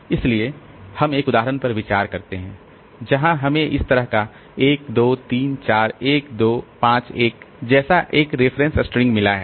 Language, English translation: Hindi, So, we consider one example where we have got a reference string like this, 1, 2, 3, 4, 1, 2, 5, 1 like that